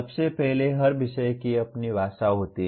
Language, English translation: Hindi, First of all every subject has its own language